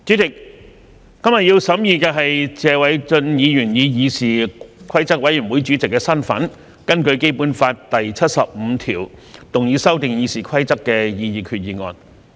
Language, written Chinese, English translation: Cantonese, 主席，今天要審議的是謝偉俊議員以議事規則委員會主席的身份根據《基本法》第七十五條動議修訂《議事規則》的擬議決議案。, President today we have to consider the proposed resolution under Article 75 of the Basic Law to amend the Rules of Procedure RoP moved by Mr Paul TSE in his capacity as the Chairman of the Committee on Rules of Procedure CRoP